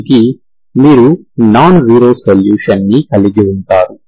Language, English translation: Telugu, Because you do not have nonzero solutions for the system